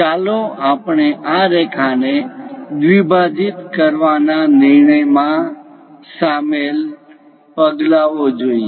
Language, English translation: Gujarati, Let us look at the steps involved in constructing this bisecting line